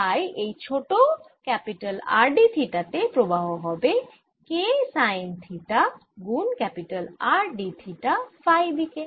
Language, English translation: Bengali, so the current through this small r d theta is going to be k sine theta times r d theta in the phi direction